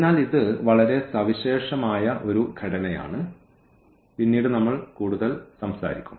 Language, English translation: Malayalam, So, this a very very special structure we will be talking about more later